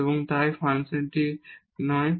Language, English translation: Bengali, And hence, the function is not differentiable